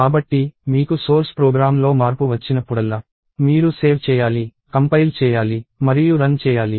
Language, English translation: Telugu, So, whenever you have a change in the source program you have to save, compile, and run